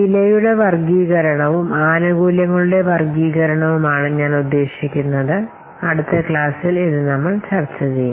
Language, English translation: Malayalam, I mean the classification of the cost and the classification of benefits we will discuss in the next class